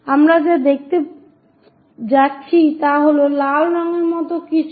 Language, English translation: Bengali, What we will going to see is something like a red one